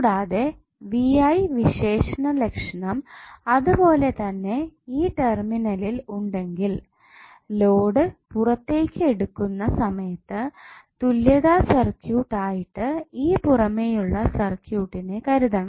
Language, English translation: Malayalam, and if you have VI characteristic at this terminal same while taking the load out then the this particular circuit would be considered as the equivalent of that external circuit